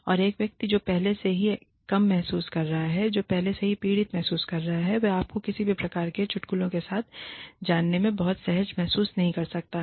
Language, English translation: Hindi, And, a person who is already feeling low, who is already feeling victimized, may not feel very comfortable with, you know, with any kinds of jokes